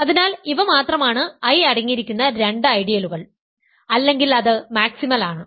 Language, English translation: Malayalam, So, these are the only two ideals that contain I otherwise it is maximal